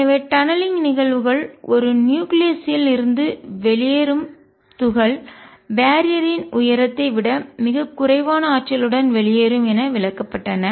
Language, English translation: Tamil, So, tunneling phenomena explained the alpha particle coming out from a nucleus with energy much less than the barrier height